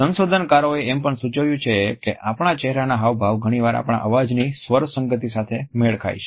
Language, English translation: Gujarati, Researchers have also suggested that our facial expressions often match with the tonality of our voice